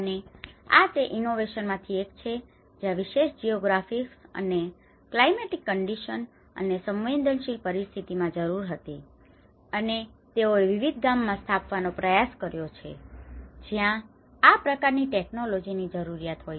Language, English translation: Gujarati, And this has been one of the innovation where it was needed for that particular geographic, and the climatic conditions and the vulnerable conditions and they have tried to install in various rural villages which are been in need of this kind of technology